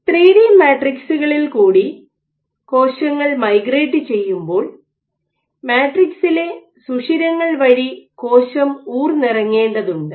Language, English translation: Malayalam, So, why because, in 3 D matrices when cells are migrating, the cell has to squeeze through the pores in the matrix